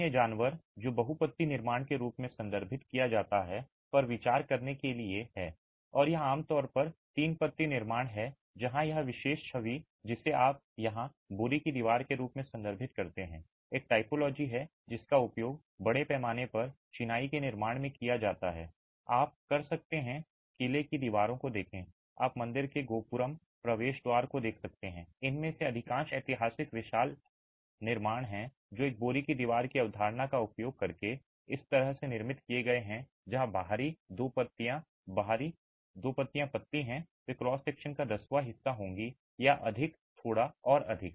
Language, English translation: Hindi, The other animal to be considering is what is referred to as multi leaf construction and this is typically three leaf construction where this particular image that you see here referred to as a sack wall is a typology which is used in massive masonry constructions you can look at fort walls you can look at temple gopura, the entrance towers, most of them, all the historical, massive historical constructions are constructed like this using a concept of a sack wall where the outer two leaves, the outer two leaves are thin, they would be about one tenth of the cross section or more, slightly more